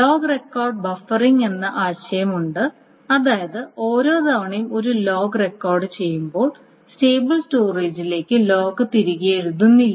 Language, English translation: Malayalam, So there is the concept of log record buffering which means that not every time a log record is being done the log is written back to the stable storage